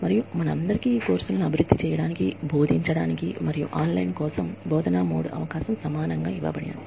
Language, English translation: Telugu, And, all of us were given, an equal opportunity, to develop the courses, that we taught, that we could develop, for an online teaching mode, like this